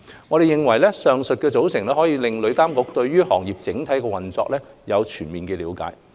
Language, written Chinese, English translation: Cantonese, 我們認為，上述組成可令旅監局對行業整體運作有全面的了解。, We believe the composition mentioned above will allow TIA to have a comprehensive understanding of the overall operation of the trade